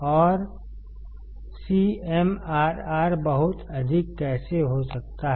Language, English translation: Hindi, And how the CMRR can be very high